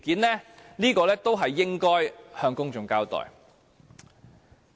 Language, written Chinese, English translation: Cantonese, 這些都應該向公眾交代。, It should give an account of these matters to the public